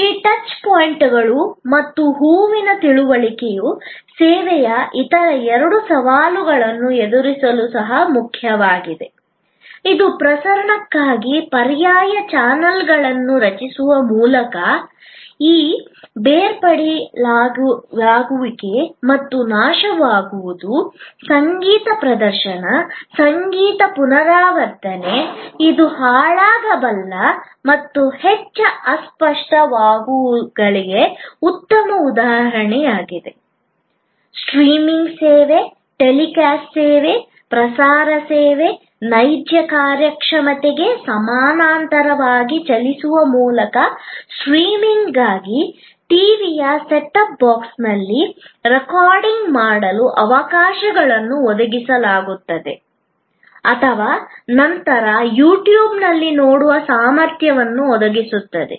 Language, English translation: Kannada, The understanding of this touch points and flower also important to address the other two challenges of service, which is this inseparability and perishability by creating alternate channels for transmission, a music performance, a music recital or consort which is an good example of a perishable and highly intangibles service by creating a streaming service, a telecast service, broadcast service, running in parallel to the real performance, providing opportunities for recording on the set up box of the TV for streaming of a live consort or your ability to see later on a you tube